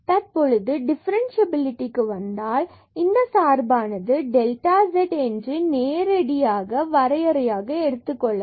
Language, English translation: Tamil, And now coming to the differentiability, so of this function, so we will take this delta z direct definition here, I mean for the delta z, the variance in z